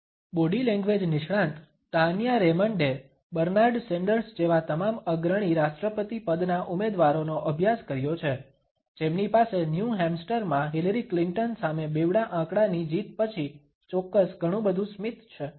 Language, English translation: Gujarati, Body language expert Tanya Raymond’s studied all the leading presidential candidates like Bernard Sanders who sure has lot of smile about after that double digit victory over Hillary Clinton in New Hamster